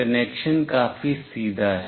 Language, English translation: Hindi, The connection is fairly straightforward